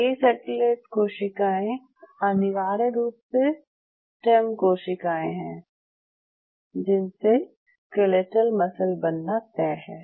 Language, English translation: Hindi, So, these satellite cells are essentially it is stem cells this time to become a skeletal muscle